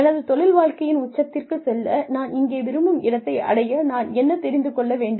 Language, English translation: Tamil, What do I need to know, in order to reach, where I want to be, at the peak of my career